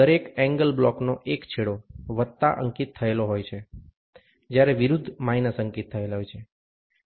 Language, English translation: Gujarati, One end of each angle block is marked plus, while the opposite is marked minus